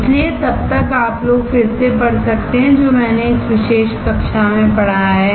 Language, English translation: Hindi, So, till then you guys can again read whatever I have taught in this particular class